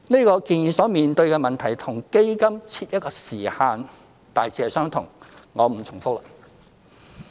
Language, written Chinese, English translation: Cantonese, 這建議所面對的問題與基金設一時限大致相同，我不重複了。, This proposal will face broadly the same problems as those of setting a time limit for the fund and I am not going to repeat them